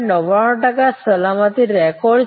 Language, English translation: Gujarati, 99 percent of safety record